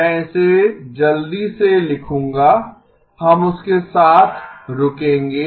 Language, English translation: Hindi, I will write it down quickly; we will stop with that